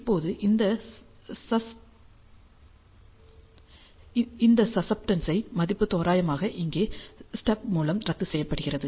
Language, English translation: Tamil, So, now, this value of susceptance which is approximately here has to be cancelled out by the stub